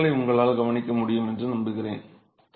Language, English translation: Tamil, I hope you are able to observe these cracks